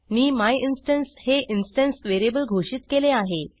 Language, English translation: Marathi, Then I have defined an instance variable myinstance